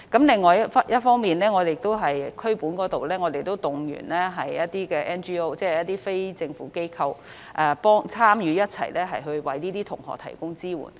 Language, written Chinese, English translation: Cantonese, 另一方面，在區本層次則可動員一些 NGO 即非政府機構。一同參與為這些學生提供支援。, On the other hand efforts can be made to mobilize non - governmental organizations NGOs at the community level to provide support services to these students